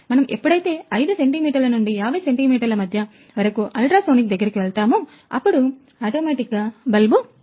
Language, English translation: Telugu, So, when we go closer between 5 centimetre to 50 centimetre, it will automatically turn on the bulb